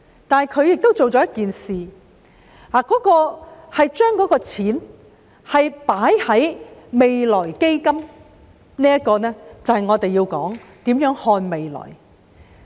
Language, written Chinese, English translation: Cantonese, 但是，他做了一件事，將錢放入未來基金，而這就是我們要討論的，如何看未來。, However he accomplished one task ie . putting money into the Future Fund and planning for the future is what we are going to discuss now